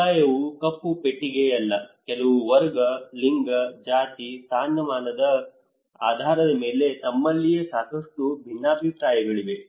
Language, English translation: Kannada, Community is not a black box there are a lot of differences among themselves some is based on class, based on gender, based on caste, status